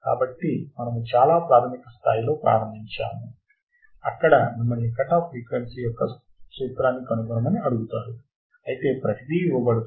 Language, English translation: Telugu, So, we have started at a very basic level where you are you are asked to find the formula of a cutoff frequency, while given everything is given